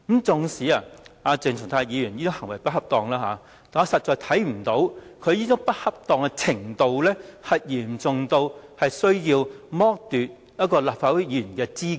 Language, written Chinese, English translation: Cantonese, 縱使鄭松泰議員的行為並不恰當，但我實在看不到他這種不恰當行為的程度，屬於嚴重至需要剝奪他的立法會議員資格。, Despite the impropriety of Dr CHENG Chung - tai I really cannot see that his behaviour was so improper to the extent that he should be disqualified from office of a Member of the Legislative Council